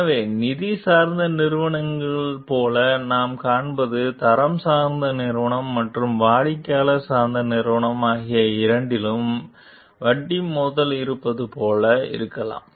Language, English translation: Tamil, So, what we find like the finance oriented companies could be like in have conflict of interest with both the quality oriented company and the customer oriented company